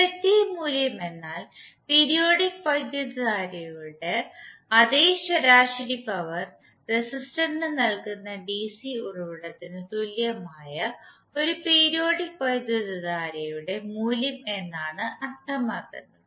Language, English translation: Malayalam, The effective value means the value for a periodic current that is equivalent to that the cigarette which delivers the same average power to the resistor as the periodic current does